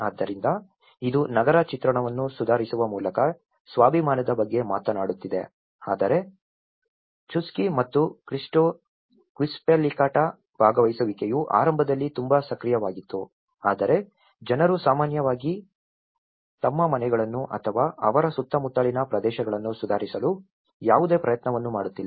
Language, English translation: Kannada, So, that is talking about the self esteem by improving an urban image whereas in Chuschi and Quispillacta, participation was very active initially but the people, in general, are not making any effort to improve their homes or their surroundings